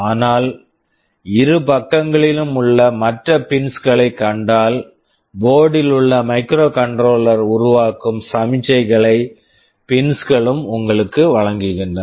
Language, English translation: Tamil, But, if you see the other pins available on the two sides, the pins provide you with the signals that the internal microcontroller on board is generating